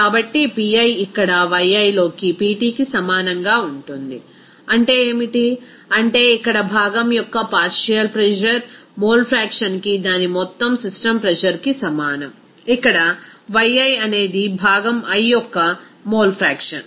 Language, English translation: Telugu, So, Pi will be equal to here Pt into Yi, what is that, that means here partial pressure of component will be is equal to mole fraction into its total system pressure, here Yi is the mole fraction of the component i